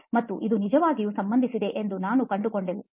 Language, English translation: Kannada, And we actually found out that this was related